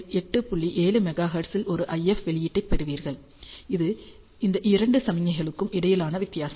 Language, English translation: Tamil, 7 Megahertz which is the difference between these two signals